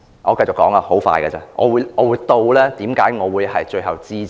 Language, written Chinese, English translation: Cantonese, 我繼續說下去，很快會說完，我會指出為何我最後支持議案。, I will continue and finish soon . I will point out why I will finally support the motion